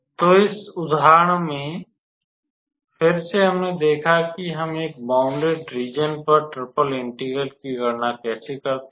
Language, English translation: Hindi, So, here again in this example, we saw that how we calculate the triple integral on a bounded region